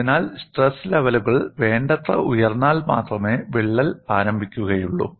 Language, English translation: Malayalam, So, the crack will initiate only when the stress levels are sufficiently high